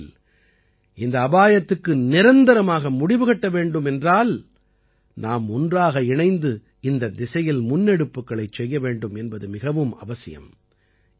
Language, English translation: Tamil, In such a situation, for this danger to end forever, it is necessary that we all move forward in this direction in unison